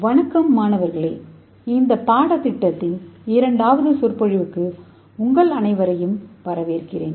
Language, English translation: Tamil, Hello students I welcome all to the second lecture of this course